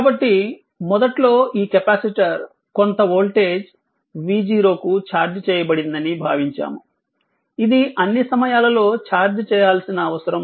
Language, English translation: Telugu, So, now this capacitor actually initially assumed, it was charged say some volt[age] say some voltage say v 0 not necessarily that it will be charged all the time v 0 can be 0 also